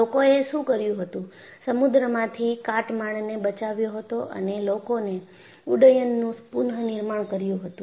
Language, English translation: Gujarati, So, what they did was they salvagedwreckage from the ocean and they reconstructed the aircraft